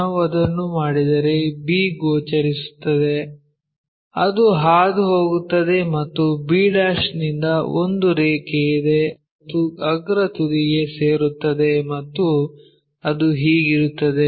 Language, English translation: Kannada, If we do that b will be visible it goes and from b there is a line which goes and joins the top apex that one will be this one